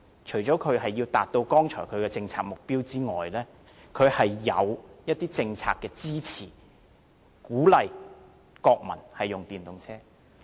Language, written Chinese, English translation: Cantonese, 除了因為要達到剛才所說的政策目標外，還因為有政策上的支持，鼓勵國民使用電動車。, The need for attaining the above mentioned target aside another reason was in fact the policy support provided for encouraging the use of EVs by Mainland people